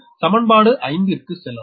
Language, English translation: Tamil, this is actually equation five